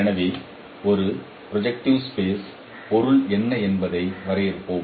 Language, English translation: Tamil, So, let us define what is meant by a projective transformation